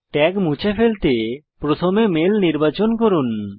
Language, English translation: Bengali, To remove the tag, first select the mail